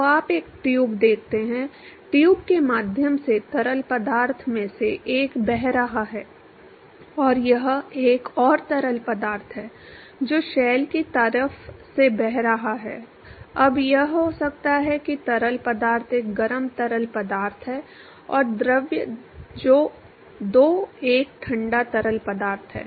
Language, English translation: Hindi, So, you see a tube, one of the fluid is flowing through the tube and this is another fluid which is flowing through the shell side now it could be that fluid one is a hot fluid and fluid two is a cold fluid